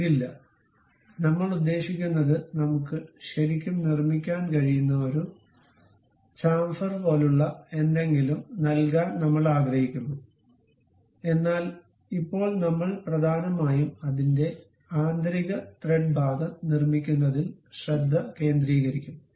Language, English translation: Malayalam, We are not having this, I mean we would like to give something like a chamfer we can really construct that and so on, but now we will mainly focus on constructing the internal threat portion of that